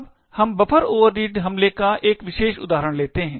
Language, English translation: Hindi, Now let us take one particular example of buffer overread attack